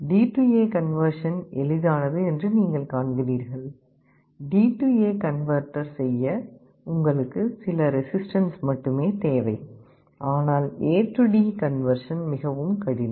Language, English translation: Tamil, You see D/A conversion is easy, you only need some resistances to make a D/A converter, but A/D conversion is more difficult